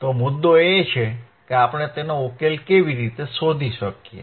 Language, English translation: Gujarati, So, the point is, how can we find the solution to it